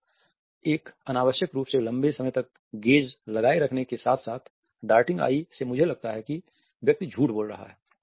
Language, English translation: Hindi, So, holding the gaze for an unnecessarily longer period as well as darting eyes both me suggest that the person is lying